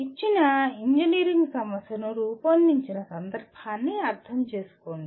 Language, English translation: Telugu, Understand the context in which a given engineering problem was formulated